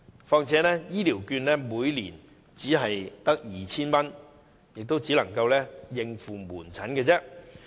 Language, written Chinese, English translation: Cantonese, 況且，醫療券金額每年只是 2,000 元，只足夠應付門診診金。, Besides the amount of a health care voucher is merely 2,000 a year and it is only sufficient for outpatient medical fees